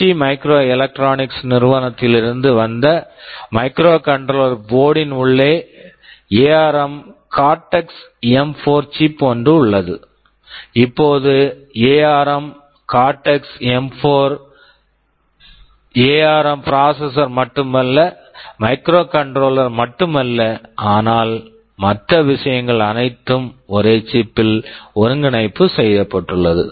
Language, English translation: Tamil, Like one of the microcontroller that we shall be demonstrating as part of this course, this microcontroller board which is from ST microelectronics, it has something called ARM Cortex M4 chip inside, now ARM Cortex M4 is not only the ARM processor, not only a microcontroller, but lot of other things all integrated in the same chip